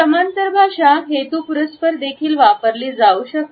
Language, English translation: Marathi, Paralanguage can be used intentionally also